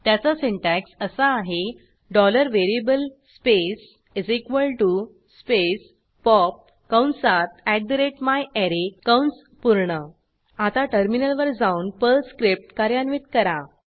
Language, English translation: Marathi, The syntax for this is $variable space = space pop open bracket @myArray close bracket Now switch to the terminal and execute the Perl script